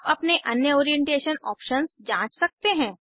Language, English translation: Hindi, You can explore the other Orientation options on your own